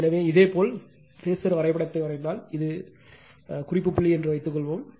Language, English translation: Tamil, So, if you draw the phasor diagram right, suppose this is your reference point